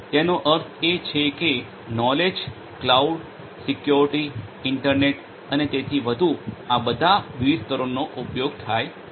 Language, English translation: Gujarati, That means, the knowledge you know cloud security, internet and so on so all of these different layers are used